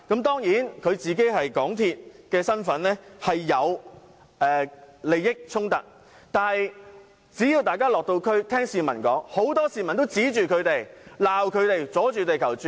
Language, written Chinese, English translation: Cantonese, 當然，他的身份是港鐵主席，有利益衝突，但大家如果有落區聆聽市民的意見，應知道很多市民都指罵反對派議員"阻住地球轉"。, He certainly had a conflict of interest in making the criticism in his capacity as the Chairman of the MTR Corporation Limited but Members who have visited the districts to listen to peoples opinions should know that many people have also rebuked opposition Members for throwing a spanner in the works